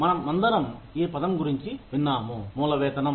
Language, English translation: Telugu, We have all heard, about this term called, basic pay